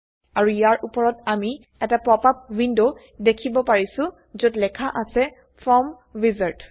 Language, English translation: Assamese, And on top of it we see a popup window, that says Form Wizard